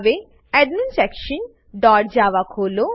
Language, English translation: Gujarati, Now, Open AdminSection dot java